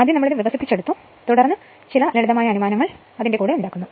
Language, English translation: Malayalam, This is first we developed and then we make some simplified assumptions right